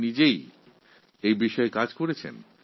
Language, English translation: Bengali, You are yourself working in this field